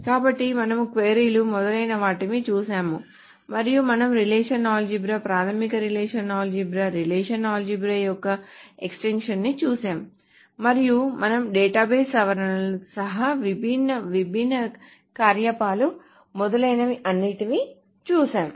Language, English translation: Telugu, , and we looked upon the power of relational algebra, the basic relational algebra, the extension of the relational algebra, and we looked at all the different operations, including the database modifications